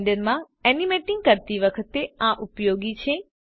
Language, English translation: Gujarati, It is useful when animating in Blender